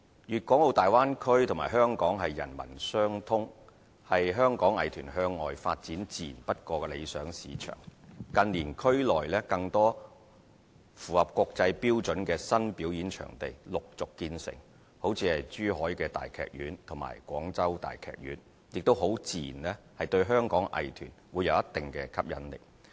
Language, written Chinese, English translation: Cantonese, 粵港澳大灣區和香港人文相通，是香港藝團向外發展自然不過的理想市場。近年區內更多符合國際標準的新表演場地陸續建成，如珠海大劇院和廣州大劇院，很自然對香港的藝團會有一定的吸引力。, Performance venues meeting international standards to be gradually completed in the area in recent years such as the Zhuhai Opera House and the Guangzhou Opera House may attract Hong Kongs arts groups to a certain degree